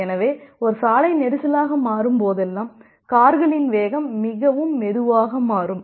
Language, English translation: Tamil, So, whenever a road become congested then the speed of the cars becomes very slow